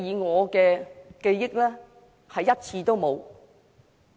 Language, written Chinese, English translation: Cantonese, 我記憶中是1次也沒有。, As far as I remember he has not not even once